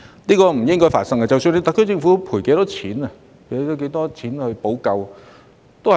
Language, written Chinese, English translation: Cantonese, 這是不應該發生的，不管特區政府作出多少賠償，亦無法彌補。, This should not have happened and is something the SAR Government can never make up for no matter how much compensation it has offered